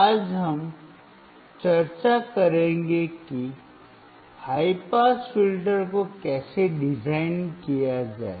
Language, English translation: Hindi, Today we will discuss how to design the high pass filter